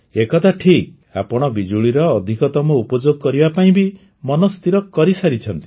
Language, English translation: Odia, This is true, you have also made up your mind to make maximum use of electricity